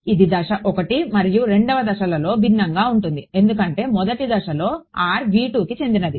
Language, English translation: Telugu, So, it will be different in step 1 and step 2 because in step 1 r is belonging to v 2